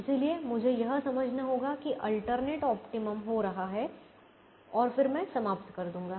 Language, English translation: Hindi, so i have to understand that alternate optimum is happening and then i will terminate